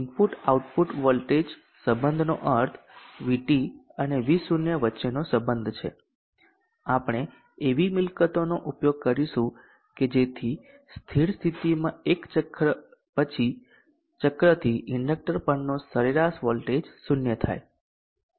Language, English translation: Gujarati, The input output voltage relationship means relationship between V T and V0 we will use property that the average voltage across the inductor should be zero cycle by cycle in the steady state